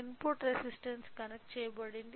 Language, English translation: Telugu, So, input resistance is connected